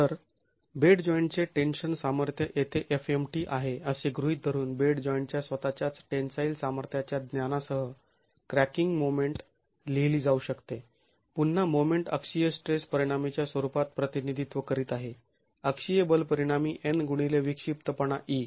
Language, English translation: Marathi, So assuming that the bed joint tensile strength here is fMt the cracking moment can be written with the knowledge of the tensile strength of the bed joint itself again representing the moment as the axial stress resultant, axial force result in n into the eccentricity e